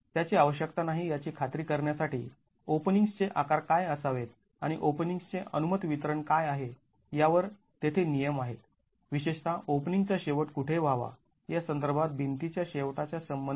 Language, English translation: Marathi, In order to ensure that that is not required, there are prescriptions on what should be the sizes of openings and what's the allowed distribution of openings particularly with respect to where the openings should end with respect to the end of the wall